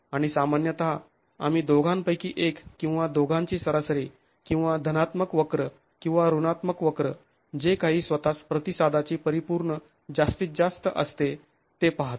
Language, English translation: Marathi, And typically we look at either both or an average of the two or the positive curve and the negative curve, whichever is the absolute maximum of the response itself